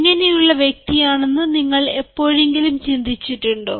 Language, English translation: Malayalam, have you ever thought what sort of a person you are